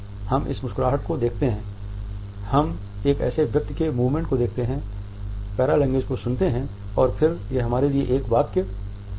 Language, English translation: Hindi, So, the idea becomes clear we look at this smile, we look at the movement of a person we listen to the paralanguage and then it becomes a sentence to us